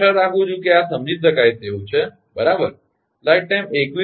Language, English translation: Gujarati, i hope this is understandable, right